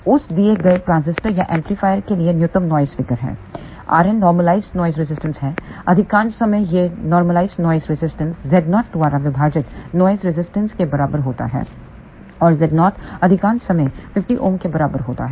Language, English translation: Hindi, NF min is the minimum noise figure for that given transistor or amplifier, r n is the normalized noise resistance most of the time this normalized noise resistance is equal to noise resistance divided by z 0 and z 0 maybe majority of the time equal to 50 ohm